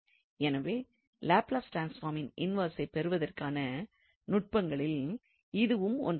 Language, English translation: Tamil, So, this is one of the techniques to get the inverse of the Laplace transform